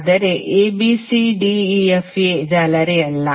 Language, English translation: Kannada, But abcdefa is not a mesh